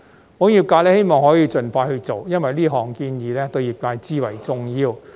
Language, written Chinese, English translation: Cantonese, 保險業界希望可以盡快去做，因為這項建議對業界至為重要。, The insurance industry hopes this proposal can be taken forward as soon as possible because it is of utmost importance to the industry